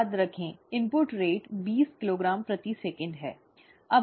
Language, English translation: Hindi, Remember, input rate is twenty kilogram per second